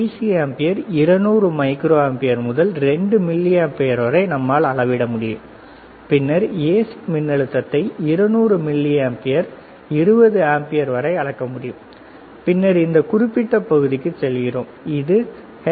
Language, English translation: Tamil, Same way DC ampere right, 200 microampere to that range 2 milliampere, then you can go down right 200 milliampere 20 ampere similarly AC voltage here you see, 20 ampere 2 200 microampere, then we go to this particular section, which is called HFE, this is used for measuring the transistor